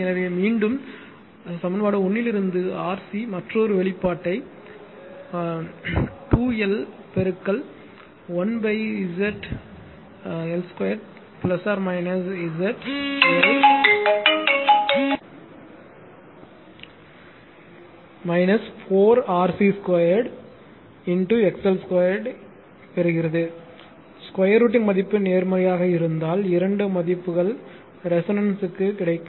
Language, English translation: Tamil, So, again from equation one you solve for c you will get another expression 2L into 1 upon ZL square plus minus ZL 4 minus 4 RC square XL square if the square root term is positive right, you will get two values of it for which circuit will circuit will resonant right